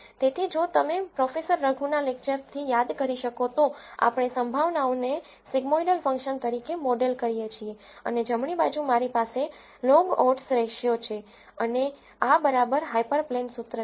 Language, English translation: Gujarati, So, if you could recall from Professor Raghu’s lecture, we model the probabilities as a sigmoidel function and on the right hand side I have the log odds ratio and this is equal to the hyperplane equation